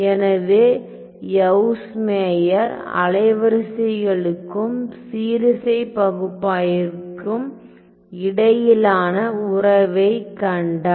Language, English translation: Tamil, So, Yves Meyer saw the relation between wavelets and harmonic analysis